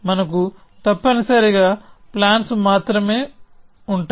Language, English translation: Telugu, We will have only plans essentially